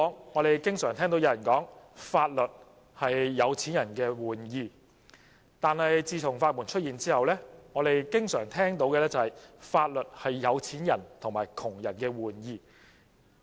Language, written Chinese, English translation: Cantonese, 我們經常聽說："法律是有錢人的玩意"，但自從法援出現之後，我們經常聽到的是："法律是有錢人和窮人的玩意"。, We hear people say that the law is a game for the rich . After the introduction of the legal aid system we often hear that the law is a game for the rich and the poor